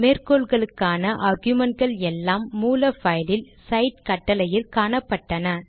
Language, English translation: Tamil, All the arguments of the citation appeared in the cite command in the source file